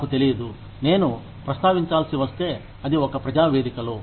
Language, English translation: Telugu, I do not know, if I should be mentioning, it in a public forum